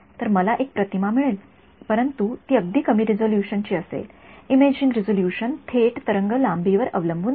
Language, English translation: Marathi, So, I will get an image, but it will be very lower resolution right the imaging resolution is dependent depends directly on the wavelength right